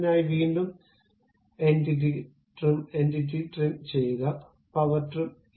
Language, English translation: Malayalam, For that purpose again trim entities, power trim